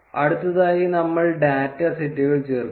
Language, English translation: Malayalam, Next we would add the data sets